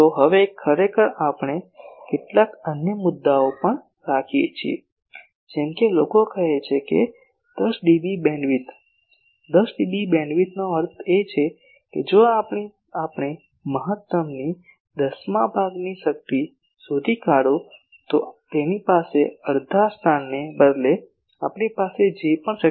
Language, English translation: Gujarati, Now, actually we could have some other points also, like sometimes people say 10dB beamwidth; 10dB beamwidth means that whatever power we have instead of locating the half if I locate the one tenth power of the maximum